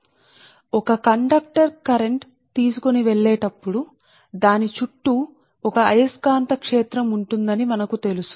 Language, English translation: Telugu, so so, whenever a conductor carrying current, it has a magnetic field around it, right